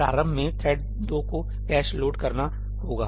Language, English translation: Hindi, Initially thread 2 has to load the cache